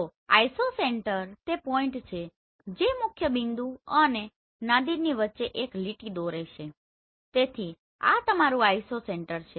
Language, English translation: Gujarati, So Isocenter is the point that falls on a line half way between the principal point and the Nadir right so where here